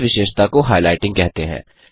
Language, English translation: Hindi, This feature is called highlighting